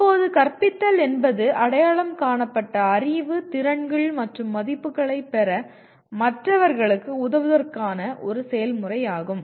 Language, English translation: Tamil, Now teaching is a process of helping others to acquire whatever identified knowledge, skills and values